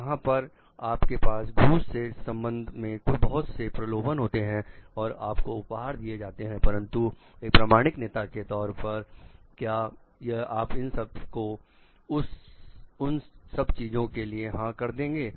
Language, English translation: Hindi, Where maybe you have a lot of temptation in terms of bribes and gives gifts given to you, but as an authentic leader are you going to say yes to do those things